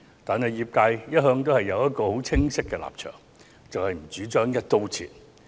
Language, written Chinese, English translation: Cantonese, 不過，業界一向持清晰的立場，便是業界不主張"一刀切"。, But the industry has all along held a clear stance that they do not agree to an across - the - board approach